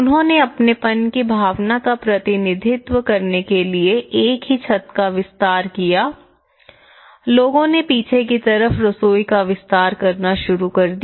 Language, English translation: Hindi, So, what did it was they extended one single roof to represent the sense of belonging, people started in expanding the kitchens at the rear